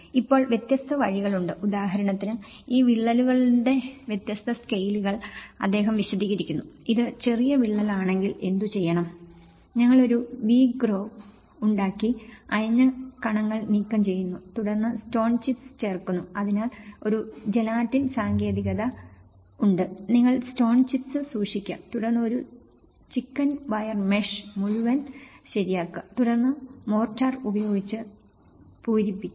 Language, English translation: Malayalam, Now, there are different ways of; he explains different scales of these cracks for instance, if it is a smaller crack what to do is; we making a V groove and removal of loose particles, then insertion of stone chips, so there is a Gelatin technique sort of thing, you keep the stone chips and then, then fixing a chicken wire mesh all along and then filling with the mortar and non shrinkable cement grout